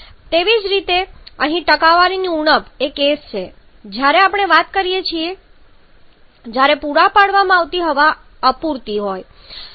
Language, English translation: Gujarati, Similarly the percent deficiency of here is the case when we talk when the amount of air supplied is insufficient